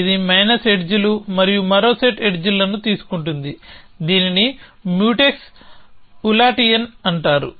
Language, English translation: Telugu, Then effects positive edges, it takes minus edges and one more set of edges, which is called Mutex Ulatian